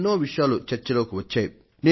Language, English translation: Telugu, Many discussions have been held on it